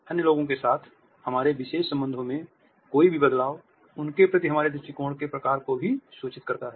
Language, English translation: Hindi, Any change in our special relationship with other people also communicates the type of attitude we have towards them